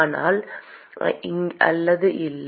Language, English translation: Tamil, Yes or no